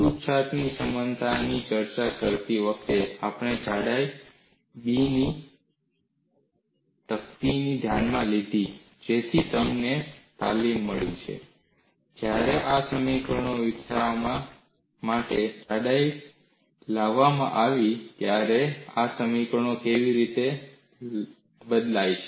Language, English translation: Gujarati, While discussing the relaxation analogy, we considered a plate of thickness b so that you get trained, how these equations change when the thickness is brought into the development of these equations